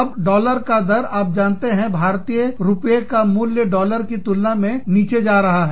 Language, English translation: Hindi, Now, the rate of the dollar has been, you know, the value of the Indian rupee, has been going down, in comparison with the US dollar